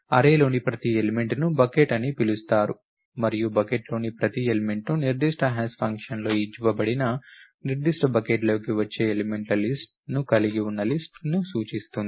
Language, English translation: Telugu, Each element of the array is called a bucket and each element of the bucket pass points to a list which consists of the list of elements that fall into the particular bucket given in the particular hash function